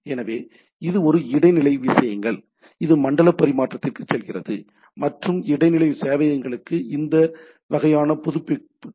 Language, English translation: Tamil, So, that is a intermediate things, which goes on to the zone transfer and goes on for this sort of update to the secondary servers right